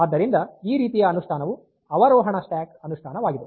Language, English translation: Kannada, So, this type of implementation is a descending stack implementation